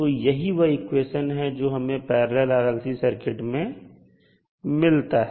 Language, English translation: Hindi, So this is what you get from the parallel combination of the circuit